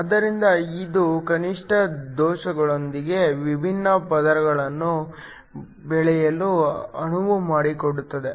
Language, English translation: Kannada, So, This enables to grow the different layers with minimum defects